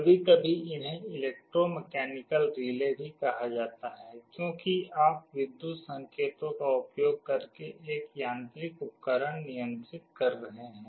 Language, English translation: Hindi, Sometimes these are also called electromechanical relays, because you are controlling a mechanical device, using electrical signals